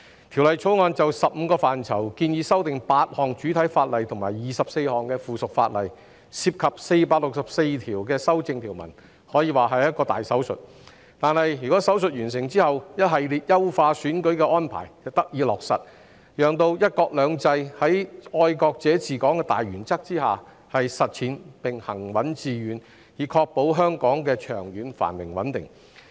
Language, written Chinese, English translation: Cantonese, 《條例草案》就15個範疇建議修訂8項主體法例及24項附屬法例，涉及464條修正條文，可說是一個大手術，但在手術完成後，一系列優化選舉的安排便得以落實，讓"一國兩制"在"愛國者治港"的大原則下實踐並行穩致遠，以確保香港的長遠繁榮穩定。, The Bill proposes amending eight principal Ordinances and 24 items of subsidiary legislation in 15 areas involving 464 amendment clauses which can be described as a major operation . Upon completion of the operation however a series of arrangements for electoral enhancement will be put in place to facilitate the successful and steadfast implementation of one country two systems under the primary principle of patriots administering Hong Kong thereby ensuring the long - term prosperity and stability of Hong Kong